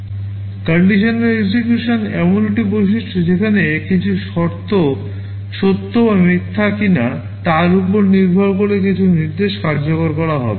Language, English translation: Bengali, Conditional execution is a feature where some instruction will be executed depending on whether some condition is true or false